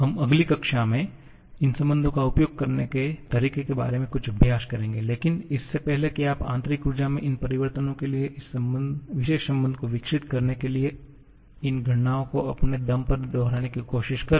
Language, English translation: Hindi, We shall be doing some exercise about how to use these relations in the next class but before that you try to repeat these calculations on your own just to develop this particular relation for these changes in internal energy